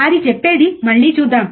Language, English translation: Telugu, What it say let us see again